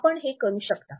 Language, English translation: Marathi, You can do it